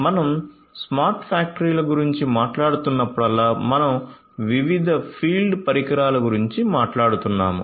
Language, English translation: Telugu, So, whenever we are talking about smart factories we are talking about different field devices